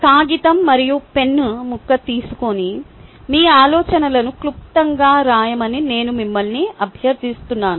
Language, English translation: Telugu, think about this question and i request you to take a piece of paper and pen and briefly write down your thoughts